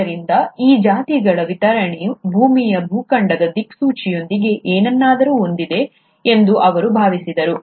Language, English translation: Kannada, So he felt that this distribution of species has got something to do with the continental drift of the earth itself